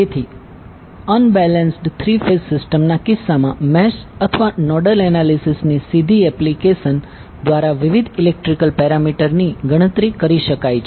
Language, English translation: Gujarati, So in that case for the unbalanced three phase system, the various electrical parameters can be calculated by direct application of either mess of nodal analysis